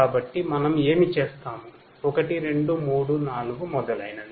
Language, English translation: Telugu, So, then what we do we take each of these points 1 2 3 4 etc